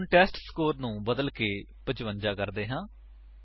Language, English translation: Punjabi, Now Let us change the testScore to 55